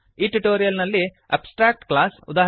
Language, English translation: Kannada, In this tutorial we learnt, Abstract class eg